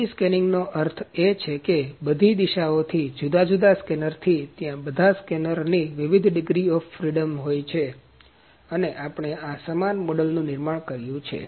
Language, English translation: Gujarati, 3D scanning means from all the directions from the different scanners are there like different degrees of freedoms of all the scanners are there and we have produced this similar model